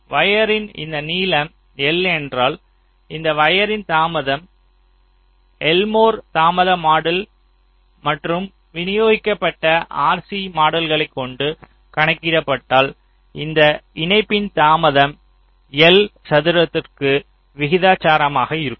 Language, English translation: Tamil, so if this length of the wire is l, so the delay of this wire, if you just compute the l mod delay model and compute the distributed r c model, so the delay of this interconnection will be roughly proportional to the square of l